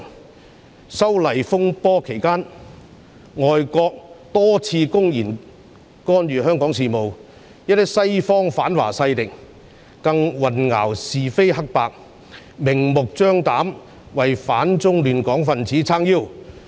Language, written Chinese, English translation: Cantonese, 反修例風波期間，外國多次公然干預香港事務，一些西方反華勢力更混淆是非黑白，明目張膽地為反中亂港分子撐腰。, During the disturbances arising from the opposition to the proposed legislative amendments foreign countries openly interfered in Hong Kong affairs time and again . Some western anti - China forces even confounded right with wrong and flagrantly backed people opposing China and upsetting order in Hong Kong